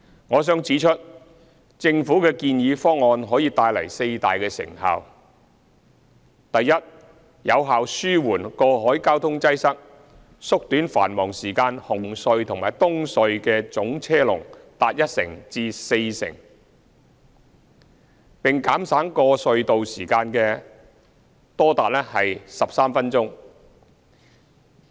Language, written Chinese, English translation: Cantonese, 我想指出，政府的建議方案可帶來四大成效：第一，有效紓緩過海交通擠塞，縮短繁忙時間海底隧道和東區海底隧道的總車龍達一成至四成，並減省過隧道時間多達13分鐘。, I would like to point out that the proposal of the Government will bring four major benefits First the proposal will effectively alleviate cross - harbour traffic congestion shorten the total peak - hour traffic queue lengths at Cross Harbour Tunnel CHT and Eastern Harbour Crossing EHC by 10 % to 40 % and reduce by as much as 13 minutes the tunnel travelling time